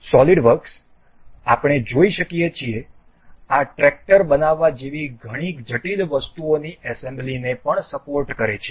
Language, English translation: Gujarati, Solidworks also supports assembly of far more complicated items like to build this tractor we can see